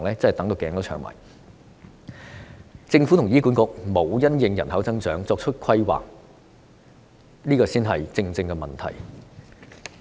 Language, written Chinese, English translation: Cantonese, 政府和醫院管理局沒有因應人口增長作出規劃，這才是問題所在。, We really have to wait with even more patience as the question lies in the lack of planning on the population growth by the Government and the Hospital Authority